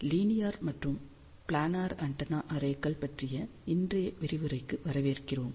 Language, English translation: Tamil, Hello and welcome to today's lecture on linear and Planar Antenna Arrays